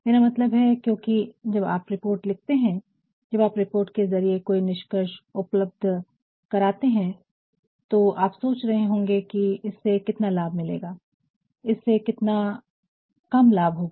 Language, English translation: Hindi, I mean, because when when you write the report, when you have provided the conclusion through a report, you also might be thinking how much will it advantage and how much will it less advantage